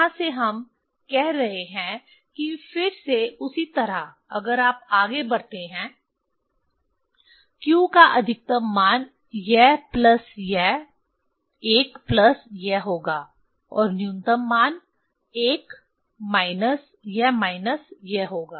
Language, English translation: Hindi, From here what we are saying this again the same way if you proceed largest value of q will be this plus this 1 plus this plus this and smallest value will be 1 minus this minus this